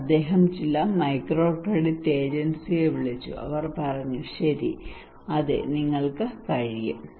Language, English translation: Malayalam, So he called some microcredit agency, and they said okay yes you can